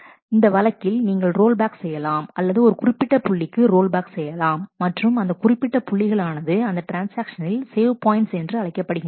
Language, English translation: Tamil, So, that in case you roll back or you need to roll back, you can roll back to that particular point and those points are in the transaction are known as the save point